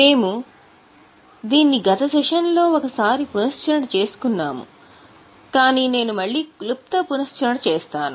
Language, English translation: Telugu, We have already revised it last time but I will just give a brief revision